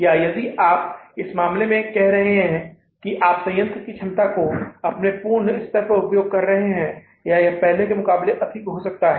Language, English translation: Hindi, Or if you are, say, in any case, you are using the plant capacity to its fullest level or maybe a little more than what we were doing in the past